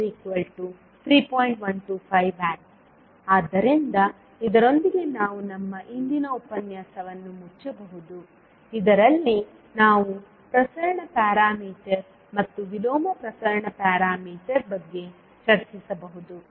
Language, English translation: Kannada, So, with this we can close our today’s session in which we can discussed about the transmission parameter and inverse transmission parameter